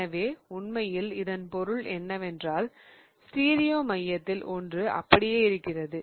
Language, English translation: Tamil, So, what really it means is that one of the stereo center will stay the same